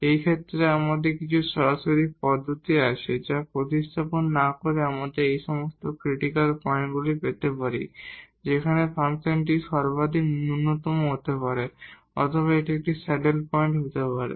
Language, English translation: Bengali, In this case we have some direct method which without substituting we can actually get all these critical points where, the function may take maximum minimum or it may be a saddle point